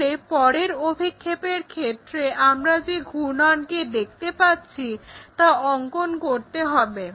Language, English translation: Bengali, So, in the next projection we have to draw what is that rotation we are really looking for